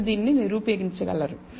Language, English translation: Telugu, You can prove this